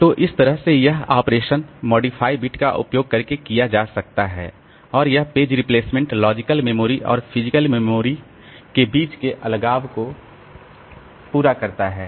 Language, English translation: Hindi, So, this way this operation can be done using this modified bit and this page replacement it completes separation between logical memory and physical memory